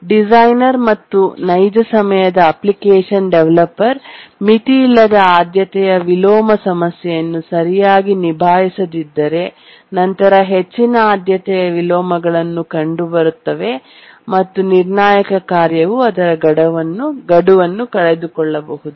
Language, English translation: Kannada, Let me repeat again that unless a designer and application, real time application developer handles the unbounded priority inversion problem properly, then there will be too many priority inversions and a critical task can miss its deadline